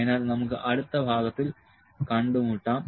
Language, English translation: Malayalam, So, let us meet in the next part